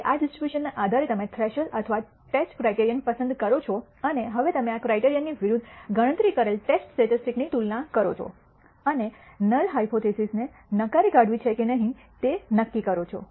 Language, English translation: Gujarati, Now, based on this distribution you choose a threshold or the test criterion and now you compare the computed test statistic against this criterion and de cide whether to reject the null hypothesis or not reject the null hypothesis